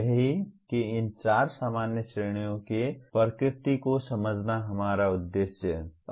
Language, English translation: Hindi, That is the understanding the nature of these four general categories is our objective